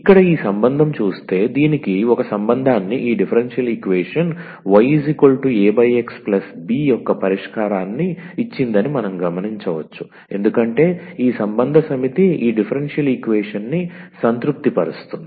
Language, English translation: Telugu, So, what we have observed that this relation this given a relation y is equal to A over x plus B is a solution of this differential equation because this relation set satisfies this differential equation